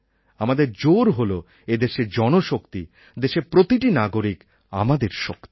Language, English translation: Bengali, Our strength lies in each and every citizen of our country